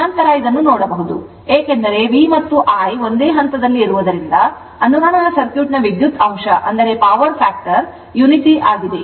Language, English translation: Kannada, Since later will see this, since V and I are in phase the power factor of a resonant circuit is unity right